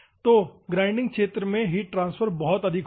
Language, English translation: Hindi, So, the heat transfer in the grinding zone will be very high